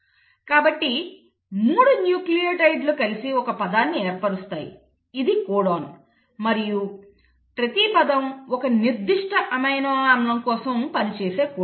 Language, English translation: Telugu, So the genetic languages, the 3 nucleotides come together to form one word which is the codon and each word codes for a specific amino acid